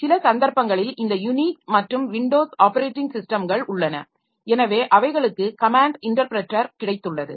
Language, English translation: Tamil, For some cases, this Unix and Windows operating systems, so they have got a command interpreter